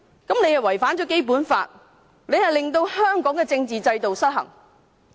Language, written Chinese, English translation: Cantonese, 這違反了《基本法》，令香港的政治制度失衡。, This is in breach of the Basic Law and creates an imbalance in Hong Kongs political system